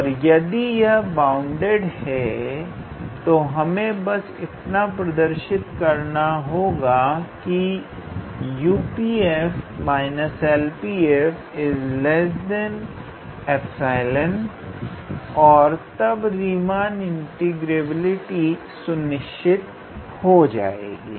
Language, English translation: Hindi, And if it is bounded then all we have to show is that whether U P f minus L P f is less than epsilon or not and then that will ensure the Riemann integrability